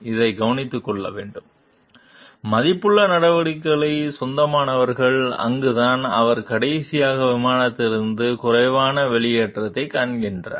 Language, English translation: Tamil, This needs to be taken care off, owning of worth action and that is where he find he exited the plane less at the last